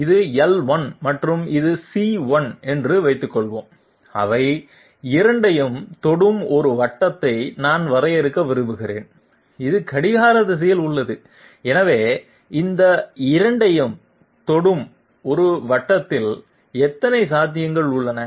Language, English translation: Tamil, Suppose this is L1 and this is C1, I want to define a circle which is touching both of them and which is clockwise, so how many possibilities are there of a circle touching these 2